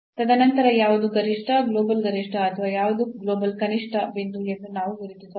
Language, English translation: Kannada, And then, we can identify that which one is the point of maximum the global maximum or which one is the point of a global minimum